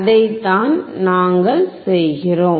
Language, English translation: Tamil, That is what we do